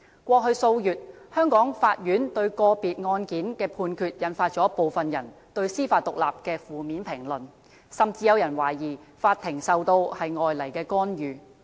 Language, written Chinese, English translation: Cantonese, 過去數月，香港法院對個別案件的判決，引發部分人對司法獨立的負面評論，甚至有人懷疑法庭受到外來干預。, Court rulings on several cases in the past few months have triggered some negative criticisms on the judicial independence in Hong Kong . Some people even suspect that the courts have been subject to external interference